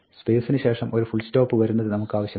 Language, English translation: Malayalam, We do not want a full stop to come after the space